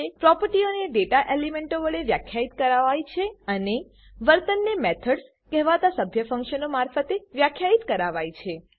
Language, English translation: Gujarati, Properties are defined through data elements and Behavior is defined through member functions called methods